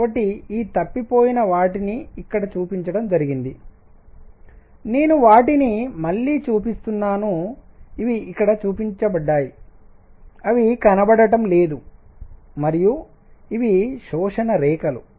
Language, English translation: Telugu, So, missing these are shown here, I am just showing them again, these were shown here, they were missing and these are the absorption lines